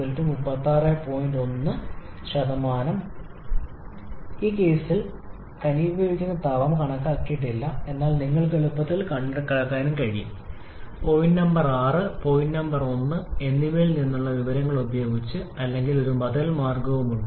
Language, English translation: Malayalam, We have not calculated the condensation heat in this case but you can easily calculate also using the inversion from point 6 and point 1 or there is an alternative way also